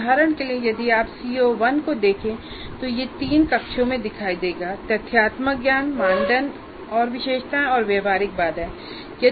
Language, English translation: Hindi, And if you look at CO1 for example, it will appear in three cells right from factual knowledge, criteria and specifications and practical constraints